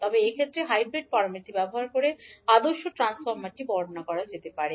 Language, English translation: Bengali, But in this case the ideal transformer can be described using hybrid parameters